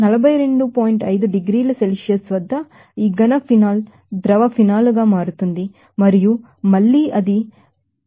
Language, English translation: Telugu, 5 degrees Celsius, when about this solid phenol will be becoming liquid phenol and again it will be heated up to 181